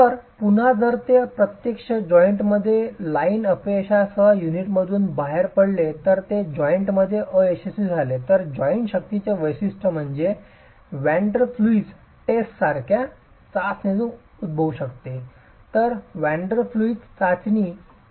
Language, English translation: Marathi, So, again, if it actually rips through the unit with a line failure versus if it actually fails in the joint, the characterization of the joint strength could actually come from a test such as the van der plume test